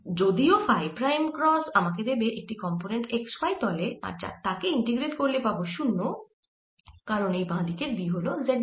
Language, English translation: Bengali, however, phi prime cross z is going to give me a component in the x y plane and that should integrate to zero because final b on the left hand side it is in the z direction